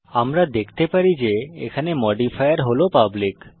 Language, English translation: Bengali, We can see that the modifier here is public